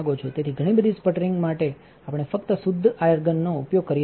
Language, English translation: Gujarati, So, for a lot of sputtering we just use pure argon